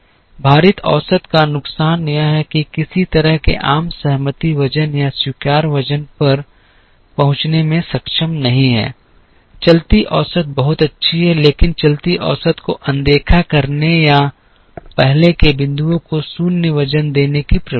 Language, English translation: Hindi, The weighted average has the disadvantage of not being able to arrive at some kind of a consensus weight or an acceptable weight, moving averages are very nice, but moving average tends to ignore or give 0 weight to earlier points and so on